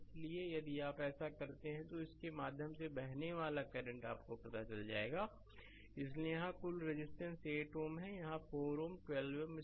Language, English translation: Hindi, So, if you do so, then current flowing through this you find out; so, total resistance here it is 8 ohm, here it is 4 ohm 12 ohm